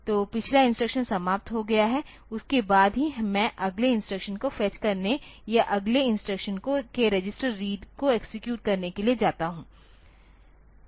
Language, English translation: Hindi, So, that the previous instruction is over then only I go into the fetching of the next instruction or executing the register read of the next instruction that